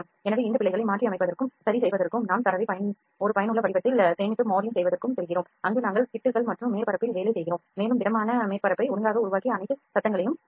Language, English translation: Tamil, So, for modifying and rectifying these errors we save the data in a useful format and go for the modeling, where we work on the patches and surfacing and we develop the solid surface properly and we remove all the noises